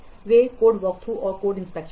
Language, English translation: Hindi, Those are code workthrough and code inspection